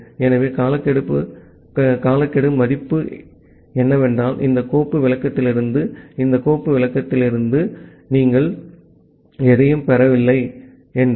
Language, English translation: Tamil, So, the timeout value is that if you are not getting anything from this file descriptor for this timeout value